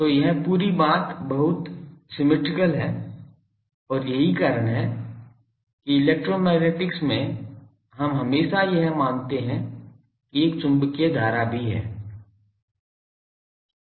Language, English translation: Hindi, So, this whole thing gets very symmetric and that is why in electromagnetics we always assume these that there is a magnetic current also